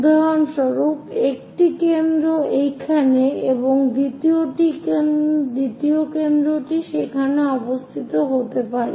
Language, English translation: Bengali, For example, one of the foci here the second foci might be there